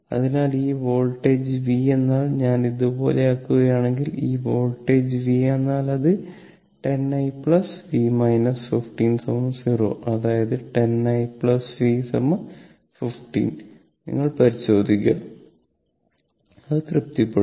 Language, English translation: Malayalam, So, this voltage v means suppose if I make it like this, this voltage v means it is 10 i plus v minus 15 is equal to 0; that means 10 i plus v is equal to 15; you check it, it will be satisfied right